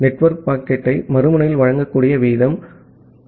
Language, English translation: Tamil, And the rate at which the network can deliver the packet to the other end